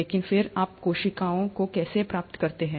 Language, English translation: Hindi, But then, how do you get to cells